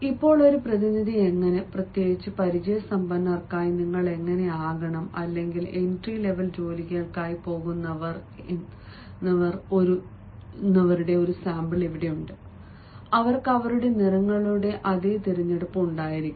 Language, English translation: Malayalam, here is a sample of how a representative, how you are supposed to, specially for the experienced, once, or for those who are going for entry level jobs, they can also have, ah, ah, the same sort of, i mean they can follow